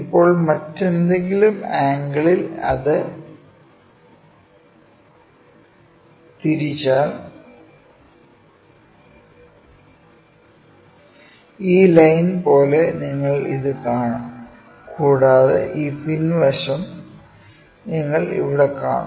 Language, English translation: Malayalam, Now, if I tilt that you see something else, like this line you will see this one and also that backside line here you see this one